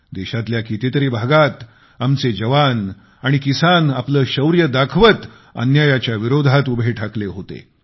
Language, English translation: Marathi, In many parts of the country, our youth and farmers demonstrated their bravery whilst standing up against the injustice